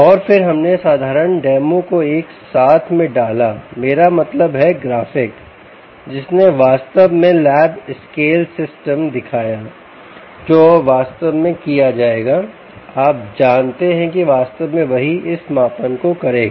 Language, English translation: Hindi, and then we put together a simple ah, um demo, i mean graphic, which actually showed the lab scale system, which now would actually be, do, would be, you know which would actually do this measurement